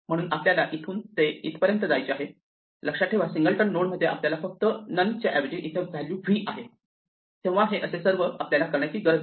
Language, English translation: Marathi, So, we want to go from this to this, remember that in a singleton node we just have instead of none we have the value v over here so that is all we need to do